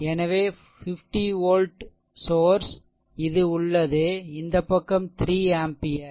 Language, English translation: Tamil, So, an 50 volt source is there this side 3 ampere